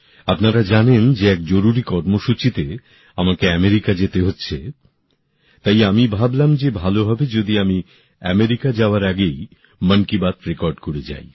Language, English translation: Bengali, You are aware that for an important programme, I have to leave for America…hence I thought it would be apt to record Mann Ki Baat, prior to my departure to America